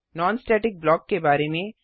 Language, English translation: Hindi, When is a non static block executed